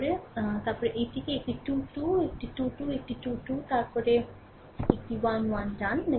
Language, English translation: Bengali, Then minus then this one your a 2 3, a 2 3, a 3 2 then a 1 1, right